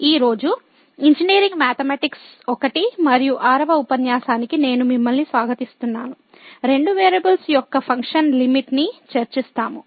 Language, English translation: Telugu, I welcome to the 6th lecture on Engineering Mathematics I and today, we will discuss Limit of Functions of Two variables